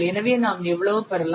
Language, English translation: Tamil, So what is this limit